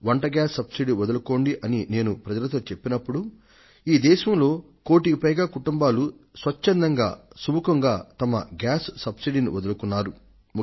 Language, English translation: Telugu, When I asked the people to give up their cooking gas subsidy, more than 1 crore families of this country voluntarily gave up their subsidy